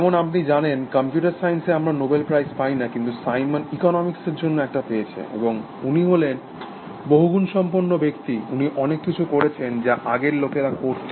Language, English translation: Bengali, As you know, we do not get Nobel prize in computer science, but Simon got one for economics, and he was the multifaceted person, he did many things, as people used to be earlier